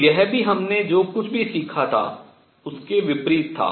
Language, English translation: Hindi, So, this was also at odds with whatever we had learnt